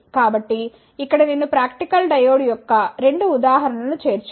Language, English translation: Telugu, So, here I have included the 2 examples of practical diode